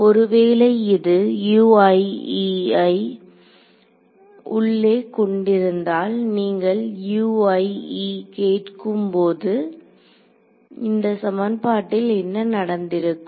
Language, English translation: Tamil, If it contains a U i e inside it as you are asking a U i e then what will happened to U i e in this equation